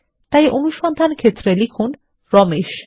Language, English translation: Bengali, So typeRamesh in the Search For field